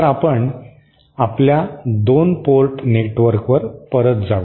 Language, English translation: Marathi, So, let us go back to our 2 port network